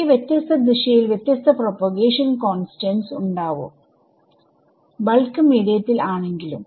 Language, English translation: Malayalam, They have different propagation constants in different directions even though